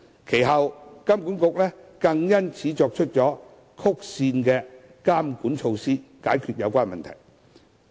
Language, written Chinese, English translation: Cantonese, 其後金管局更因此作出曲線監管措施，解決有關問題。, Subsequently HKMA even had to adopt measures to impose regulation in an oblique way to address the problem